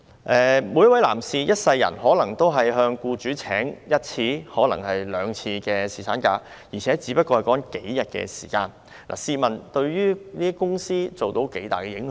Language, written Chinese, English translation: Cantonese, 每一位男士一生中可能只會向僱主申請放取一次或兩次侍產假，而所說的只是數天時間，試問這能對公司造成多大影響？, How can paternity leave be an exception not to mention that employees deserve this right? . Each man might apply to his employer for paternity leave only once or twice in his lifetime involving only a few days . How much impact could it have on the company?